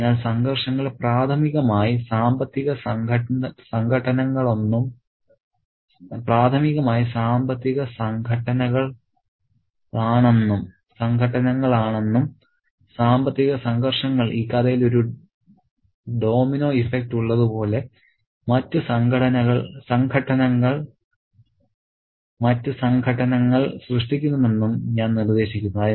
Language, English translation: Malayalam, So, I would suggest that the conflicts are primarily financial conflicts and the financial conflicts create other sets of conflicts as if there is a domino effect in the story